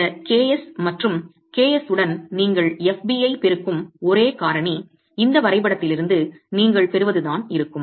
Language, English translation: Tamil, For the time being, you can assume that both are one, then the only factor that you multiply FB with is KS and the KS is what you get from this graph itself